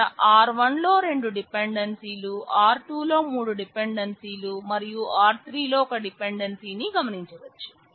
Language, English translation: Telugu, So, on R1, we have two dependencies on R2, we have three dependence, one dependency and R3 we have one dependency again